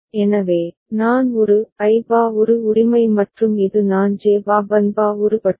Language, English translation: Tamil, So, I A; I bar An right and this is I J bar Bn bar An bar